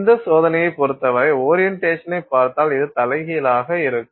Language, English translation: Tamil, So, this is actually if you look at the orientation with respect to this test, this is inverted